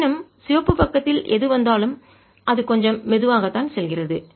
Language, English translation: Tamil, however, whatever comes on the red side, it goes little slow